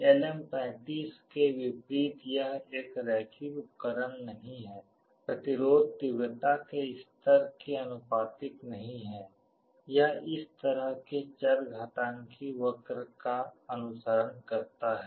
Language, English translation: Hindi, Unlike LM35 this is not a linear device; the resistance is not proportional to the intensity level, it follows this kind of exponential curve